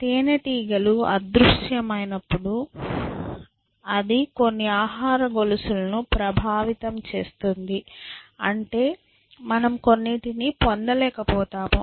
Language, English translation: Telugu, The bees vanish when it will affect certain food chain which means we stop getting things of a certain kind